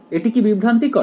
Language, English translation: Bengali, Is this something confusing